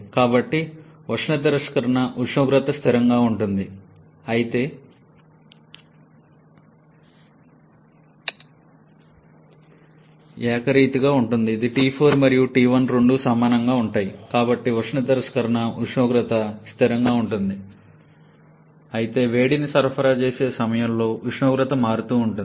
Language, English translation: Telugu, So, the temperature of heat rejection is a constant but the temperature varies during heat addition